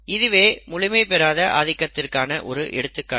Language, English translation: Tamil, And this is an example of incomplete dominance